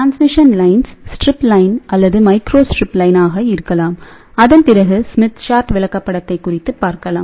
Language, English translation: Tamil, So, transmission lines could be strip line or microstrip line, after that we will talk about Smith chart